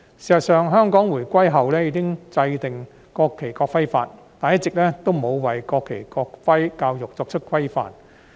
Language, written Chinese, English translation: Cantonese, 事實上，香港回歸後已經制定《國旗及國徽條例》，但一直也沒有為國旗、國徽教育作出規範。, In fact Hong Kong has enacted the National Flag and National Emblem Ordinance since reunification but there has been no regulation on the education on national flag and national emblem